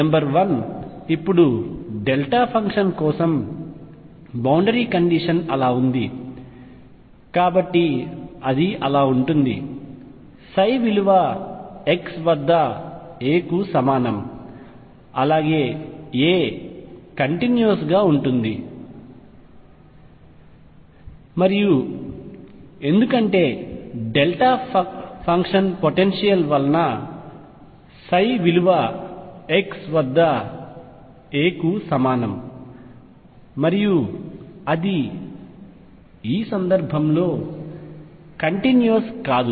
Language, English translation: Telugu, Number one: now the boundary condition is like that for a delta function so it is going to be that; psi at x equals a is continuous and also psi prime at x equals a is going to be discontinuous in this case, because of delta function potential